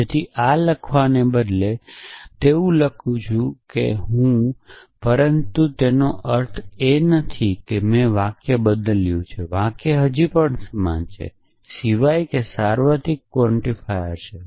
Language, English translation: Gujarati, So, instead of writing is like that I am writing like this, but it does not mean that i have changed the sentence, the sentence is still the same except that the universal quantifiers implicit